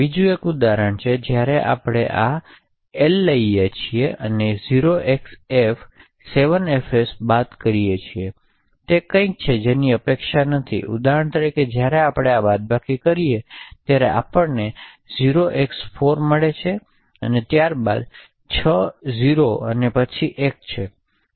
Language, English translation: Gujarati, Another example is when we take L and subtract 0xf 7 fs what we get is something which is not expected for example when we do subtract, we get 0x4 followed by 6 0s and then a 1